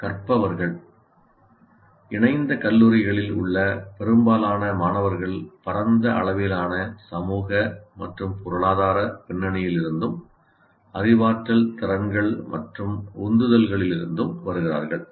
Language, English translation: Tamil, And then coming to the learners, students in majority of affiliated colleges come from wide range of social and economic backgrounds as well as cognitive abilities and motivations